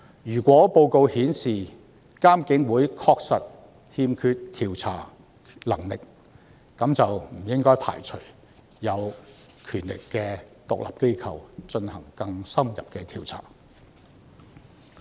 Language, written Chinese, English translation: Cantonese, 如果報告顯示監警會確實欠缺調查能力，那便不應該排除由具權力的獨立機構進行更深入調查的可能性。, If the report shows that IPCC does lack the investigative capabilities then we should not rule out the possibility of conducting more in - depth investigation by an independent body with vested powers